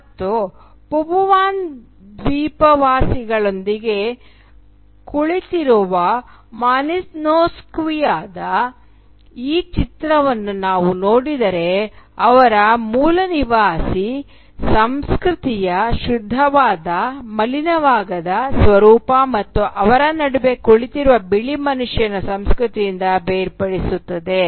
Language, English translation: Kannada, And if we look at this picture of Malinowski sitting with Papuan islanders, it is easy to believe both in the pure uncontaminated nature of their aboriginal culture and the distinction separating them from the culture of the white man who is sitting between them